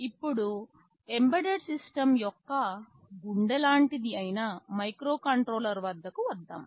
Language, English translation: Telugu, Now, let us come to microcontrollers that are the heart of embedded systems